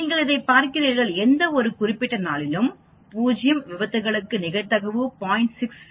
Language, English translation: Tamil, ssssss You see this, for 0 accidents on any particular day the probability will be 0